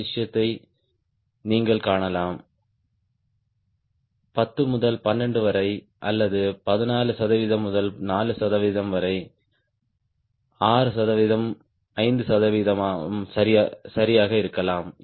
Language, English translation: Tamil, right, you could see the difference: ten to twelve or fourteen percent to four percent, maybe six percent may be five percent, right around that